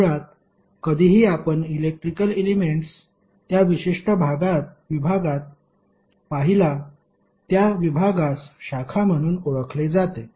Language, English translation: Marathi, So basically were ever we see the electrical elements present that particular segment is called a branch